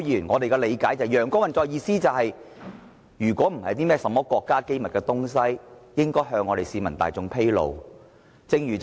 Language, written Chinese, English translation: Cantonese, 我們所理解的"陽光運作"是，如果有關資料並非國家機密，便應向市民大眾披露。, Our understanding of transparent or sunlight operation is that information that is not state secret should be disclosed to the citizens and the public